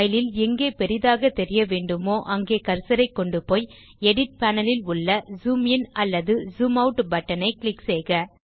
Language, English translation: Tamil, To zoom into or out of a file click the cursor where you need to zoom on the file and click the zoom in or zoom out button on the Edit panel